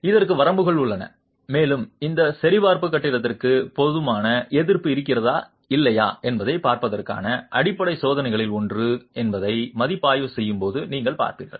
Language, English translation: Tamil, And there are limits on this and you will see when we come to assessment that this check is one of the fundamental checks to see if the building has adequate resistance or not